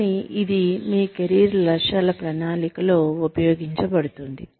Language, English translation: Telugu, But, it can be used in, planning of your career objectives